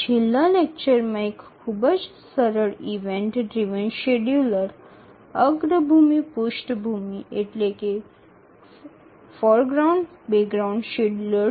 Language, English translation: Bengali, We had seen a very simple event driven scheduler, the foreground background scheduler in the last lecture